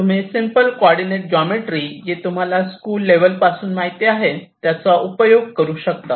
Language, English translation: Marathi, well, you can you simple coordinate geometry, for that you already know this is means school math staff